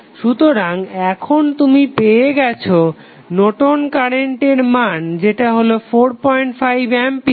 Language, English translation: Bengali, So, now you got Norton's current that is the short circuit current as 4